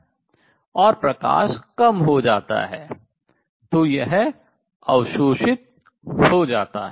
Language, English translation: Hindi, And therefore, light will get absorbed